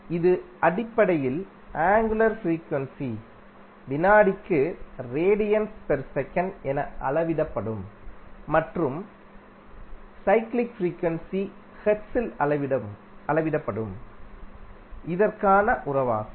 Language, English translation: Tamil, So, this is basically the relationship between angular frequency that is measured in radiance per second and your cyclic frequency that is measured in hertz